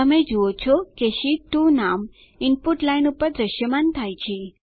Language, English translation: Gujarati, You see that the name Sheet 2 is displayed on the Input line